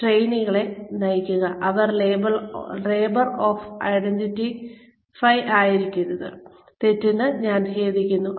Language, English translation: Malayalam, Direct the trainees, label or I, it should not be label of identify, I am sorry for the mistake